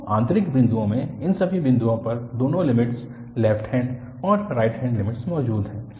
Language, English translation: Hindi, So, at all these points in the internal points both the limits, the left hand and the right hand limits exist